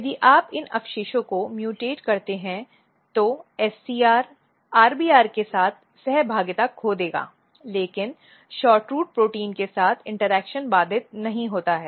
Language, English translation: Hindi, So, this is actually mutant if you mutate it what will happen that, the SCR will lose interaction with RBR, but interaction with SHORTROOT protein is not disrupted